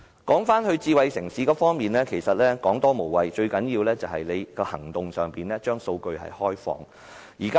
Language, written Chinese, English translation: Cantonese, 說回智慧城市方面，其實多說無益，最重要的是政府要採取實際行動來開放數據。, Coming back to the topic of a smart city actions actually speak louder than words in this regard and the Government must take actions to develop open data